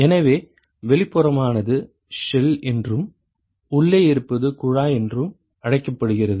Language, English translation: Tamil, So, the outer one is called the shell and the inside one is called the tube